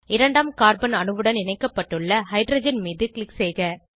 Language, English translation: Tamil, Click on the hydrogen atom attached to the second carbon atom